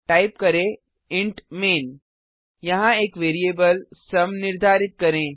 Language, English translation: Hindi, Type int main() Let us declare a variable sum here